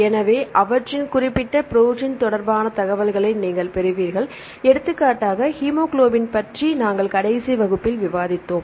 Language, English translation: Tamil, So, you get the information regarding their particular protein, for example, last class we discussed about the hemoglobin